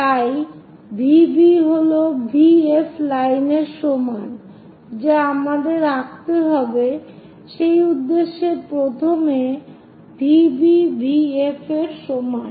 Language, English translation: Bengali, So, V B is equal to V F line we have to draw, for that purpose first of all V B is equal to V F